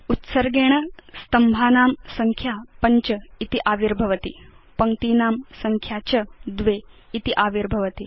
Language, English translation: Sanskrit, By default, Number of columns is displayed as 5 and Number of rows is displayed as 2